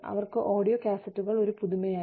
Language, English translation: Malayalam, And, for them, audio cassettes, were a novelty